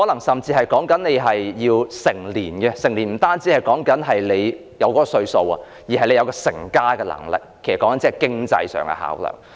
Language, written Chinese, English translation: Cantonese, 所謂"成年"不單指已達到某個歲數，亦須具備成家的能力，這是經濟方面的考量。, Adulthood in this context did not refer solely to the reaching of any specific age . It also implied the capability of raising a family . So this was a kind of financial consideration